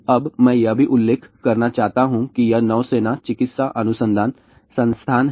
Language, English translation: Hindi, Now, I also want to mention this is the Naval medical research institute